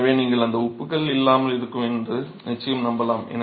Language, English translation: Tamil, So, you are sure that it is free of salts